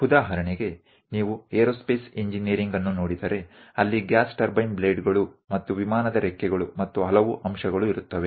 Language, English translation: Kannada, For example, if you are looking at aerospace engineering, there will be gas turbine blades, and aeroplane's wings, many aspects